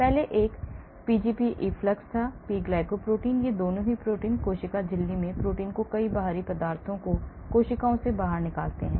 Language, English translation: Hindi, The first one was Pgp efflux, these are proteins; P glucoprotein, proteins in the cell membrane that pumps many foreign substances out of the cells